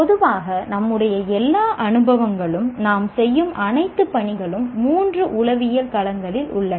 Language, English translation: Tamil, Generally all our experiences, all the tasks that we perform, elements of all the three psychological domains are present